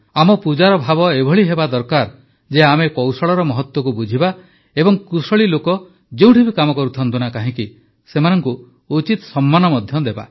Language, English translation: Odia, The spirit of our worship should be such that we understand the importance of skill, and also give full respect to skilled people, no matter what work they do